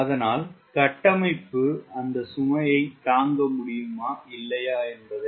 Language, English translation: Tamil, what does the structure will be able to withstand that load or not